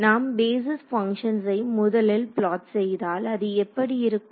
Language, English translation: Tamil, So, if I plot the first basis function what does it look like